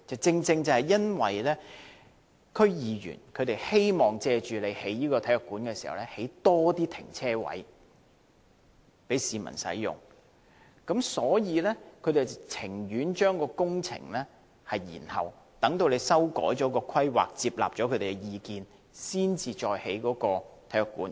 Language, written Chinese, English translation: Cantonese, 正是因為區議員希望藉興建體育館，多興建停車位，供市民使用，所以他們寧願將工程延後，待政府接納他們的意見，修改規劃後再建體育館。, It was because District Council members hoped that in building the sports centre more parking spaces could be provided for use by the public . Hence they would rather delay the project and wait for the Governments acceptance of their views and revise the planning